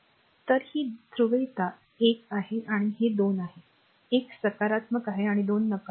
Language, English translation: Marathi, So, this is the polarity this is 1 and this is 2, 1 is positive, 2 is negative